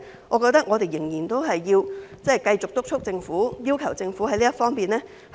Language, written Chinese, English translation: Cantonese, 我認為我們仍要繼續督促政府，要求政府做好這方面。, I think we should continue to urge and request the Government to do a good job in this regard